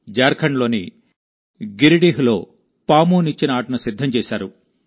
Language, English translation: Telugu, A snakeladder game has been prepared in Giridih, Jharkhand